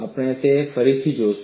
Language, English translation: Gujarati, We will look that again